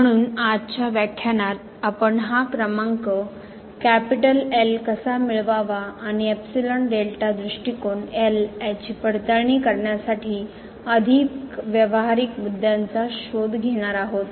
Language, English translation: Marathi, So, in today’s lecture we will look for more practical issues that how to get this number and the epsilon delta approach may be used to verify that this given number is